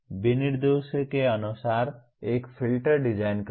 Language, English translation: Hindi, Designing a filter as per specifications